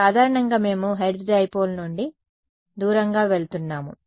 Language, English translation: Telugu, So, in general, so, we are moving away from hertz dipole right